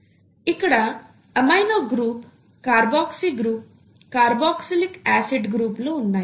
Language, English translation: Telugu, So you have an amino group here and a carboxylic acid group here